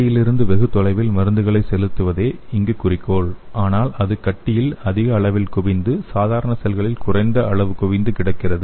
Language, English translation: Tamil, So here the goal is to inject treatment far from tumor and have large accumulation in tumor and minimal accumulation in normal cells